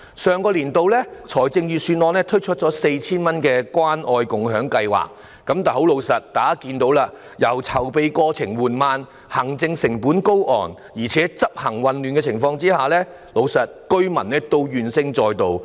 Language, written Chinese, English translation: Cantonese, 上年度預算案推出向市民派發 4,000 元的關愛共享計劃，但老實說，大家也可看到，籌備過程緩慢，行政成本高昂，加上執行混亂，以致市民怨聲載道。, The Budget of last year launched the Caring and Sharing Scheme to dole out 4,000 to members of the public but frankly as we can see the preparation process was slow and the administrative costs high . In addition the implementation was confusing thus arousing widespread public discontent